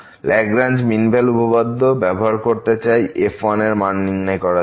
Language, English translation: Bengali, Now, we want to use the Lagrange mean value theorem to estimate the bounds on